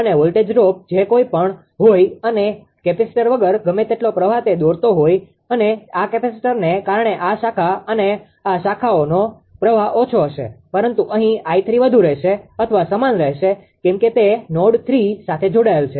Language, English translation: Gujarati, And ah and whatever whatever your what you call ah that voltage drop ah or your minimal your that whatever current it was drawing without capacitor and because of this capacitor this branch and this branch current will be less but here I 3 will remain more or same because as it is connected ah at node 3